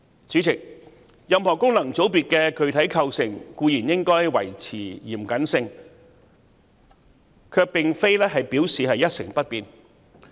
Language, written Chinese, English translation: Cantonese, 主席，任何功能界別的具體構成固然應該維持嚴謹，但卻並不表示一成不變。, President while the specific composition of any FC should surely remain stringent it is not necessarily rigid